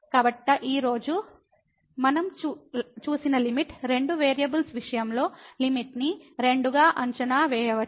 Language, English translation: Telugu, So, what we have seen today that the limit, we can evaluate the limit in two in case of two variables